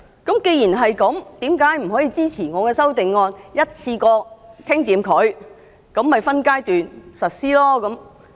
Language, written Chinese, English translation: Cantonese, 既然如此，為甚麼不可以支持我的修正案，一次過立法，分階段實施？, This being the case why cant they support my amendment of enactment of legislation in one go and implementation by phases?